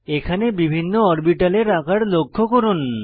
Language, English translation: Bengali, Notice the different orbital shapes displayed alongside